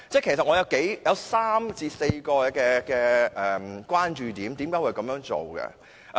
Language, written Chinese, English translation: Cantonese, 其實，我有3至4個關注點。, I actually have three to four points of concern